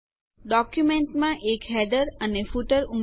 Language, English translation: Gujarati, Add a header and footer in the document